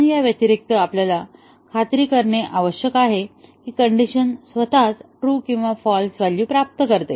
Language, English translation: Marathi, And in addition, we need to ensure that the decision itself gets true and false values